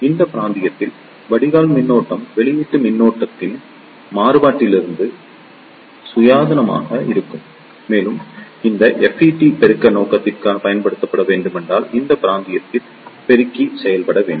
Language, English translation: Tamil, In this region, the drain current will be independent of the variation in the output voltage and the amplifier should operate in this region, if this if it is to be used for the amplification purpose